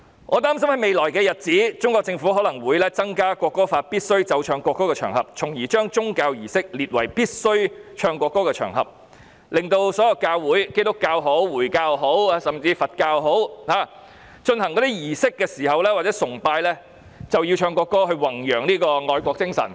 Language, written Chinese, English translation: Cantonese, 我擔心在未來日子，中國政府可能會增加《國歌法》中須奏唱國歌的場合，將宗教儀式列為須奏唱國歌的場合，令所有教會——不論是基督教或回教，甚至是佛教——進行儀式或崇拜時，均要奏唱國歌以宏揚愛國精神。, I fear that in the days to come the Chinese Government may increase the occasions on which the national anthem must be played and sung as stated in the National Anthem Law and list religious services among the occasions on which the national anthem must be played and sung in order that the national anthem must be played and sung during rituals or worships of all religious organizations be it Christian or Islamic or even Buddhist with a view to promoting patriotism